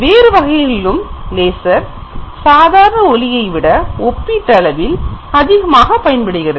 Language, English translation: Tamil, But in other cases also lasers are mostly used compared to with respect to the ordinary lights